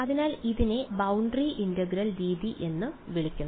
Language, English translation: Malayalam, So, this is would be called the boundary integral method ok